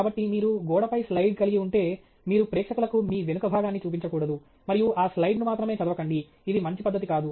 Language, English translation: Telugu, So, if you have a slide up on the wall, you should not be showing your back to the audience and only reading that slide; that’s not a good practice